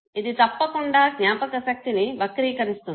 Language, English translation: Telugu, This is bound to distort the memory, okay